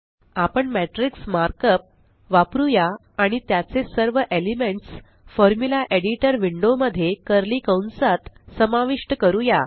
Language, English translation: Marathi, We will use the markup Matrix and include all its elements within curly brackets in the Formula Editor window